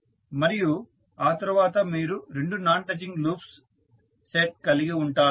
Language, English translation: Telugu, And, then you will have set of two non touching loops